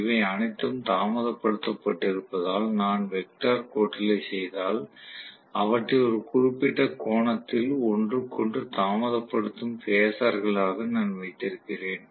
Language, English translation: Tamil, Maybe if I do the vector sum because they are all delayed, I am going to have them as phasers which are delayed from each other by certain angle right